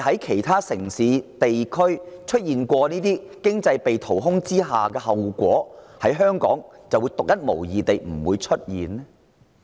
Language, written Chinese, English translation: Cantonese, 其他城市及地區曾因此招致經濟被淘空的後果，香港是否獨一無二，不會落得相同下場？, Other cities and regions ended up with their economies hollowed out as a result will Hong Kong prove the exception to the rule managing to avoid the same fate?